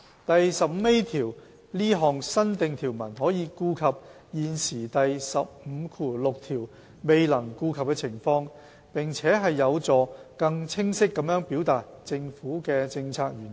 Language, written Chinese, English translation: Cantonese, 第 15A 條這項新訂條文可顧及現時第156條未能顧及的情況，並有助更清晰地表達政府的政策原意。, New clause 15A can cater for the situations outside the scope of the current clause 156 and help express the policy intent of the Government in a clearer manner